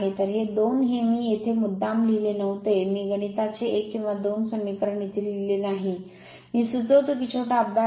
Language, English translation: Marathi, So, these two this two I did not give here intentionally I did not give here the mathematics 1 or 2 equation, I suggest this is a small exercise for you right